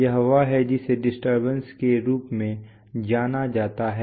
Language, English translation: Hindi, This is the, what is known as the error